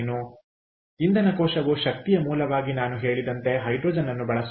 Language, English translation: Kannada, so fuel cell actually uses hydrogen, as i said, as an energy source